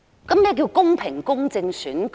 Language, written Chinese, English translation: Cantonese, 請問何謂公平、公正的選舉？, May I ask where election fairness or impartiality is?